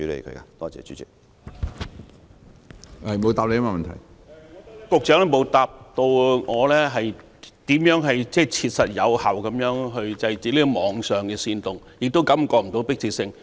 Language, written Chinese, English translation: Cantonese, 局長沒有回答我，如何切實有效地制止網上的煽動，似乎感覺不到相關迫切性。, The Secretary has not answered how the authorities will practically and effectively curb online incitement . I seem to have not noticed any urgency in this regard